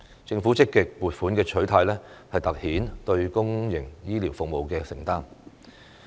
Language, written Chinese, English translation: Cantonese, 政府積極撥款的取態，凸顯了對公營醫療服務的承擔。, The active attitude of the Government towards the allocation of funding highlights its commitment to public health care services